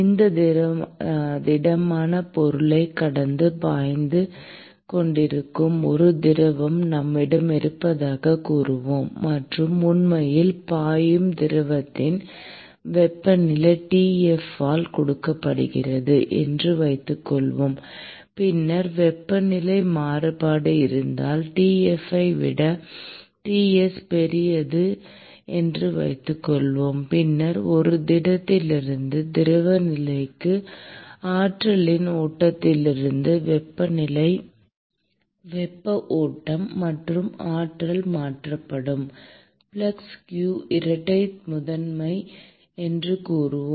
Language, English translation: Tamil, Let us say that we have a fluid which is flowing past this solid object; and let us assume that the temperature of the fluid which is actually flowing is given by T f, then because there is variation in the temperature, and if we assume that let us say T s is greater than T f, then there is a flow of heat from a flow of energy from the solid to the fluid phase; and let us say that the flux with which the energy is transferred is q double prime